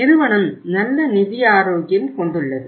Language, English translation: Tamil, Overall financial health of the company is good